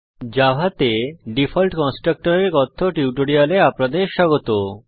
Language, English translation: Bengali, Welcome to the Spoken Tutorial on default constructor in java